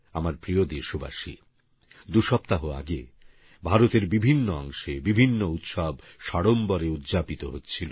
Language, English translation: Bengali, My dear countrymen, a couple of weeks ago, different parts of India were celebrating a variety of festivals